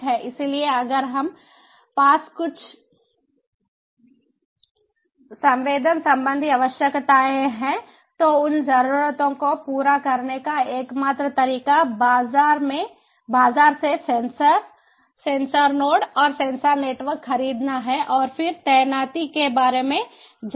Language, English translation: Hindi, so if we have some sensing needs, so the only way to go about, you know, full filling those needs is to buy from the market sensors, sensor notes and sensor networks and then go about deploying